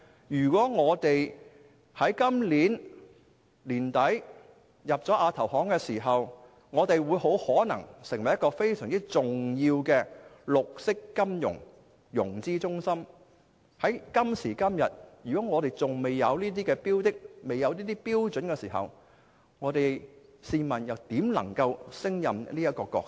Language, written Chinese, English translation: Cantonese, 如果香港在今年年底加入亞投行，大有可能成為非常重要的綠色金融融資中心，但如果我們至今仍未有這些標準，試問怎能勝任這個角色？, If Hong Kong is to join the Asian Infrastructure Investment Bank at the end of this year it is very likely that it will become a very important green financing centre . But if we still do not have these standards how can we play such a role?